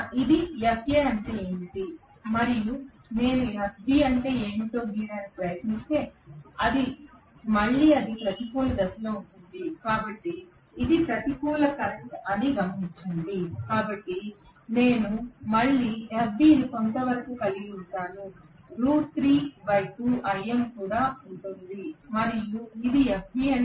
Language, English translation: Telugu, This what is FA right, and if I try to draw what is FB again it is along the negative direction please note that this is the negative current, so I am going to have again FB somewhat like this which will also be root 3 by 2 times Im and this is what is FB